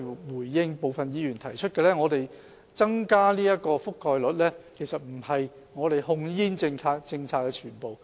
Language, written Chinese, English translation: Cantonese, 回應部分議員提出的意見，增加健康忠告的覆蓋率其實不是我們控煙政策的全部。, In response to the views put forward by some Members increasing the coverage of health warnings is actually not the whole of our approach to tobacco control